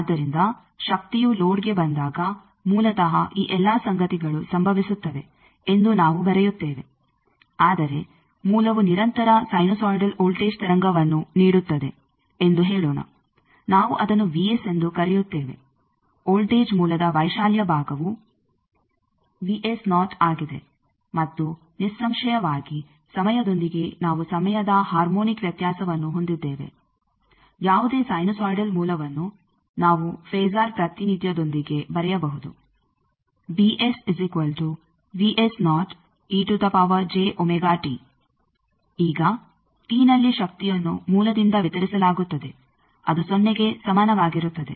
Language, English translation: Kannada, So, that is why we will I write that when power arrives at load basically all these things happen, but let us say source delivers a continuous sinusoidal voltage wave, we call it v s the amplitude part is of the voltage source is v s o and; obviously, with time we have a time harmonic variation any sinusoidal source with a phasor representation we can write as a e to the power j omega t